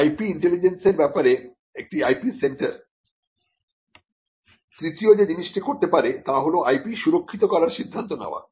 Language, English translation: Bengali, The third thing that an IP centre can do with regard to IP intelligence is to take the call or decide whether to protect the IP